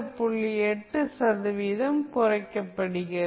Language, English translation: Tamil, 8 percent of its previous value